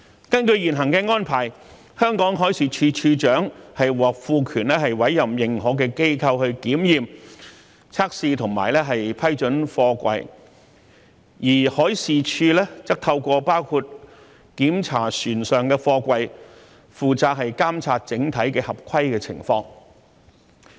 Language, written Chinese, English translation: Cantonese, 根據現行安排，香港海事處處長獲賦權委任認可機構檢驗、測試和批准貨櫃，而海事處則透過包括檢查船上的貨櫃、負責監察整體的合規情況。, Under the current arrangement the Director of Marine in Hong Kong is empowered to appoint recognized organizations to examine test and approve containers while the Marine Department monitors compliance in general by conducting inspections of containers on board vessels